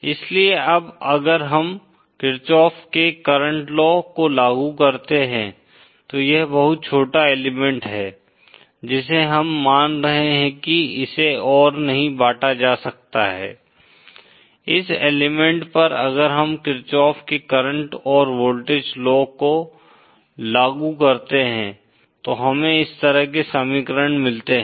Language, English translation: Hindi, So now if we apply the KirchoffÕs current law now this is very small element which we are assuming can be divided no further, this element if we apply KirchoffÕs current and voltage laws then we get equations like this